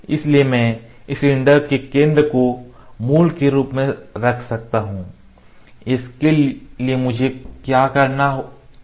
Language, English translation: Hindi, So, I can keep the center of this cylinder as a origin; for that What I have to do